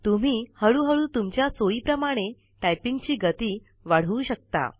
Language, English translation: Marathi, You can gradually increase your typing speed and along with it, your accuracy